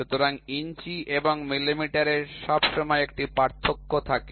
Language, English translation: Bengali, So, inches and millimetre there is always a difference